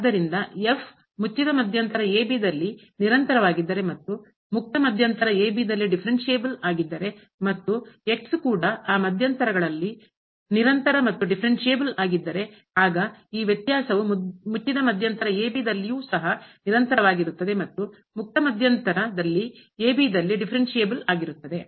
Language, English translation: Kannada, So, if is continuous in the closed interval and differentiable in the open interval and is also a function which is continuous and differentiable in those intervals, then this difference will be also continuous in closed interval and differentiable in the open interval